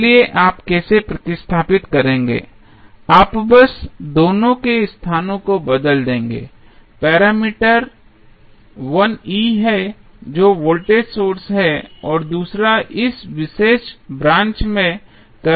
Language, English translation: Hindi, So, how you will replace you will just switch the locations of both of the, the parameters 1 is E that is voltage source and second is current flowing in this particular branch